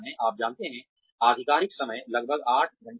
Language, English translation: Hindi, You know, the official timing is about eight hours